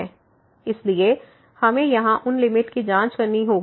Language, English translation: Hindi, So, we have to check those limits here